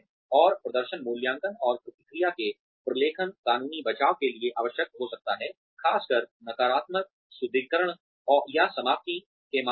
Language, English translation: Hindi, And, documentation of performance appraisal and feedback, may be needed for legal defense, especially in the case of negative reinforcement or termination